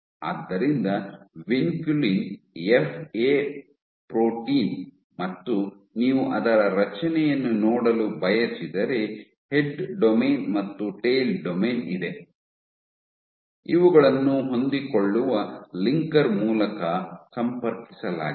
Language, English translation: Kannada, So, vinculin it is a FA protein and if you want to look at it is structure, you have a head domain, and a tail domain, which are connected by a flexible linker